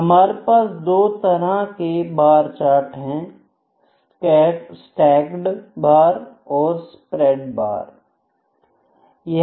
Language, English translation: Hindi, And we can have 2 types of bar charts, what those are stacked bars and spread bars; and spread bars, ok